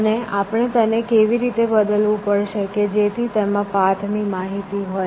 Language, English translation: Gujarati, And we have to modify it in such a way, that it contains the paths information essentially